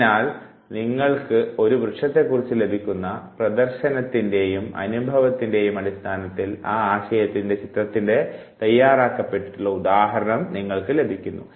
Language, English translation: Malayalam, So, depending on what type of exposure you have, what type of experience you have of a tree you will have the readymade example the image of that very concept